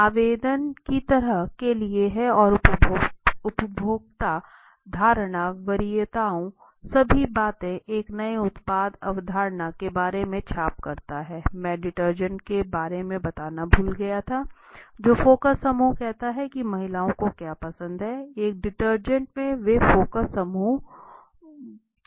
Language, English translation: Hindi, Application is for like and the consumer perception preferences all this thing obtaining impression about a new product concept the generating and ideas as I was saying I just forget was telling about the detergent when they did the focus group to understood about what do women like when they see by a detergent they do the focus group discussion